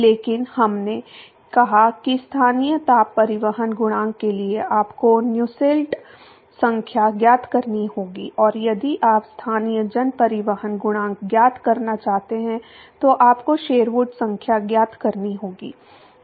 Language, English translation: Hindi, But we said that for local heat transport coefficient you need to find Nusselt number and if you want to find the local mass transport coefficient then you will have to find the Sherwood number